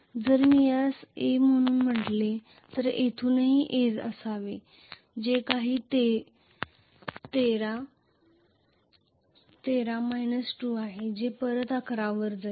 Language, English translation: Marathi, So if I call this as ‘a’ this should also be ‘a’ from here this is 13, 13 minus 2 so which go back to 11